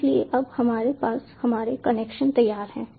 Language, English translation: Hindi, so now we have our connections ready